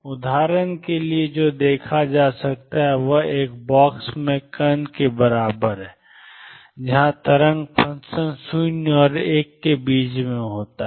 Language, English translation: Hindi, What is seen is for example, particle in a box, where wave function is between 0 and l